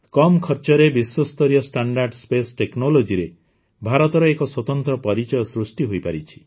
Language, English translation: Odia, In space technology, World class standard at a low cost, has now become the hallmark of India